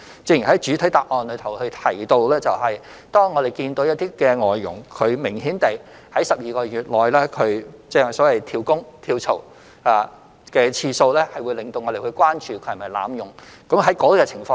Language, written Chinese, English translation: Cantonese, 正如我在主體答覆中提到，當我們看到一些外傭明顯地在12個月內多次"跳工"或跳槽，會令我們關注外傭有否濫用的情況。, Hence we need to strike a balance in this regard and this is most important . As I have mentioned in the main reply when we note that FDHs have obviously job - hopped or changed jobs many times within 12 months our concern will be aroused as to whether there has been any abuse